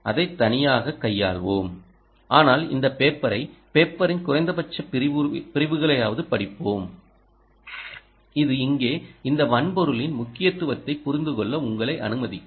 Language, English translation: Tamil, we will handle that separately ah, but we will move on and read this paper, at least sections of this paper, which will allow you to understand the importance of the hardware here